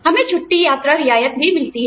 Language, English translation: Hindi, We also get a leave travel concession